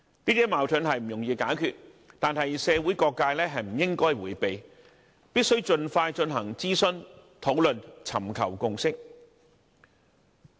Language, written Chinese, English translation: Cantonese, 這些矛盾不易解決，但社會各界不應迴避，必須盡快進行諮詢和討論，尋求共識。, These conflicts are not easy to resolve but the various sectors of the community should not shy away from dealing with them and must get involved in consultation and discussion to seek a consensus as soon as possible